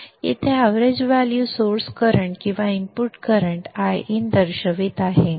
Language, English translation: Marathi, Here the average value is indicating the source current or the input current IN